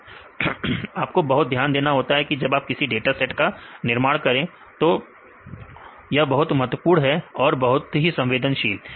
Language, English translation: Hindi, Data set you have to very careful about developing the data set that is very important very sensitivity